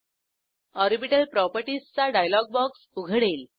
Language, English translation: Marathi, Orbital properties dialog box opens